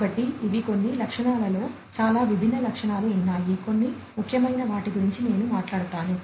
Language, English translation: Telugu, So, these are some of the features there are many many different features I will talk about some of the salient ones